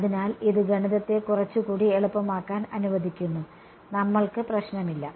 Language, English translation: Malayalam, So, this just allows the math to become a little bit easier, we are ok